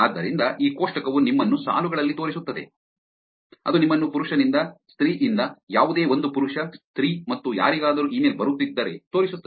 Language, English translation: Kannada, So, this table actually shows you on the rows, it shows you from male, from female, from any one, to male, to female and to anyone